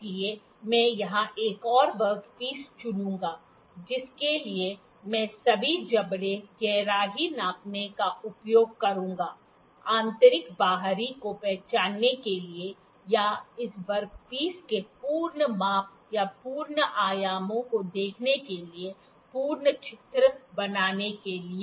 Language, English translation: Hindi, So, I will pick another work piece here for which I will use all the jaws the depth gauge, the internal external to draw the full drawing of to draw to identify or to see the full measurements or full dimensions of this work piece